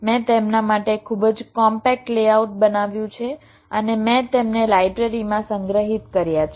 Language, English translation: Gujarati, i have created a very compact layout for them and i have stored them in the library